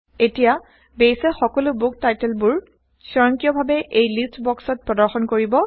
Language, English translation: Assamese, Now Base will automatically display all the Book titles in this List box